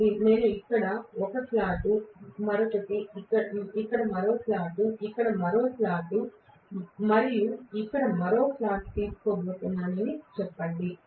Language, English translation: Telugu, So let us say I am going to take one slot here, one more slot here, one more slot here and one more slot here